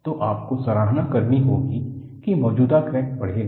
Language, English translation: Hindi, So, you have to appreciate that the existing crack will grow